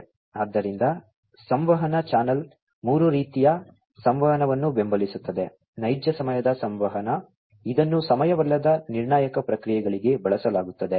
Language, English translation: Kannada, So, the communication channel supports three types of communication, non real time communication, which is used for non time critical processes